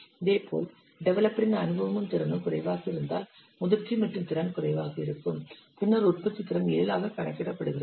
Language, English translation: Tamil, Similarly, if developers experience and capability is low, maturity and capability is low, then the productivity is counted as seven